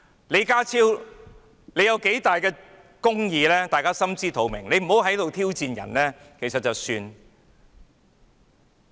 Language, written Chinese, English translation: Cantonese, 李家超是否秉行公義的人，大家心知肚明，他可不要再在這裏挑戰別人了。, We all know very well whether John LEE is a righteous man . He should not challenge anyone here anymore